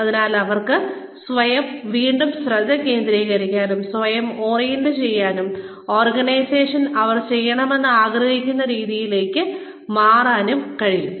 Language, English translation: Malayalam, So, that, they can re focus themselves, re orient themselves, to what the organization, wants them to do